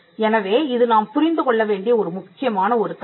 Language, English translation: Tamil, So, this is a key principle to understand